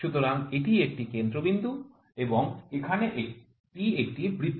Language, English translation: Bengali, So, this is a centre point and this is a circle here